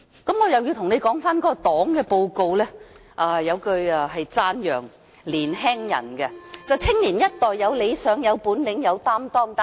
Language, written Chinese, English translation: Cantonese, 讓我再次討論黨的"十九大報告"，當中有一句是讚揚年青人的，便是"青年一代有理想、有本領、有擔當"。, Let me come back to the discussion of the report of the 19 National Congress of the CPC . A line in the report is devoted to praising young people . It reads Young people have ambitions abilities and commitments